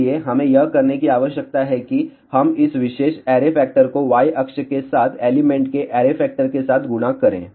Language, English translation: Hindi, So, all we need to do it is we multiply this particular array factor with an array factor of the elements along the y axis